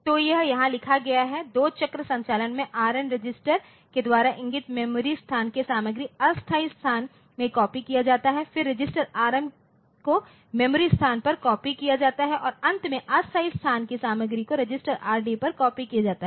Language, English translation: Hindi, So, we can in a two cycle operation content of memory location pointed to by register Rn is copied into temporary space then the register Rm is copied onto the memory location and finally, content of temporary space is copied onto register Rd